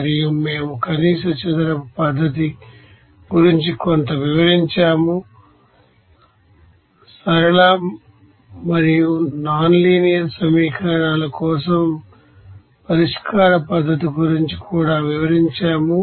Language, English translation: Telugu, And also we have describe something about that least square method also we have described about solution methodology for linear and nonlinear equations